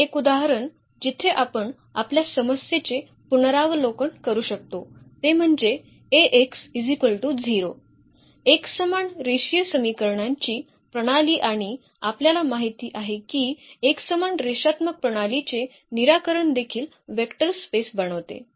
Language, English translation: Marathi, Another example where we will revisit the our problem here A x is equal to 0, the system of homogeneous linear equations and we know that the solutions set of a homogeneous linear system also forms a vector space